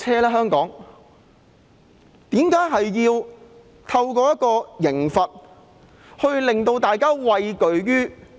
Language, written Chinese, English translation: Cantonese, 為何政府要透過刑罰令大家畏懼？, Why must the Government frighten people with penalties?